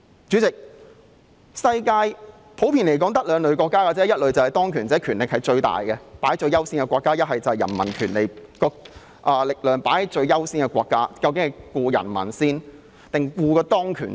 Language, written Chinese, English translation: Cantonese, 主席，世界上普遍只有兩類國家，一類是當權者權力最大、最優先的國家，而另一類則是人民權力最優先的國家，究竟要先顧及人民抑或先顧及當權者呢？, Chairman generally speaking there are two types of countries in the world those which put the power of the authority first and those which put the power of the people first . Should the people or the authority come first?